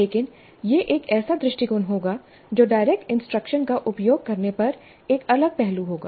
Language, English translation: Hindi, But that would be an approach which would be a separate aspect when direct instruction is used